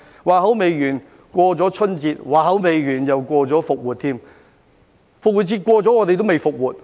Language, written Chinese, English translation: Cantonese, 話音未落，過了春節；話音未落，又過了復活節；復活節過了，我們還未"復活"。, Before my voice had died away the Spring Festival came followed by Easter; and after Easter we had yet to return to normalcy